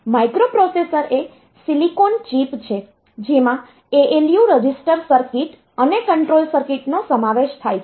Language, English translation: Gujarati, So, it is a silicon chip which includes ALU registers circuits and control circuits